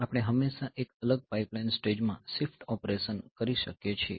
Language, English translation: Gujarati, So, we can always do the shift operation in a separate pipeline stage ok